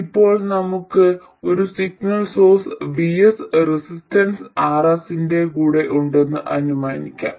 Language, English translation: Malayalam, So, we will now assume that we have a signal source VS with a resistance